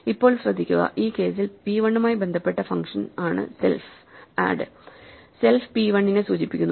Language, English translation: Malayalam, Now, notice that, self is the function associated with p 1 in this case, add; so self refers to p 1